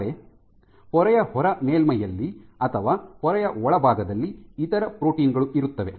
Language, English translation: Kannada, But there are other proteins which are either on the outer leaflet of the membrane or in the inner leaflet the membrane